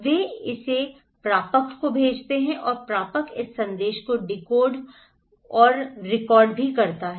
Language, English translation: Hindi, They send it to the receiver and receiver also decode, decodify and recodify this message